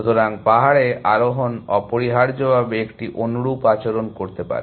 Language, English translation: Bengali, So, hill climbing can also behave a similar fashion behavior essentially